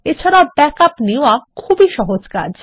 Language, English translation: Bengali, And taking a backup is very simple